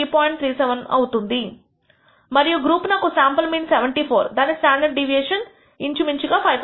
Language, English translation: Telugu, 37, and group 2 has a sample mean of 74 with a standard deviation as 5